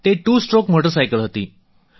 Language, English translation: Gujarati, It was a two stroke motorcycle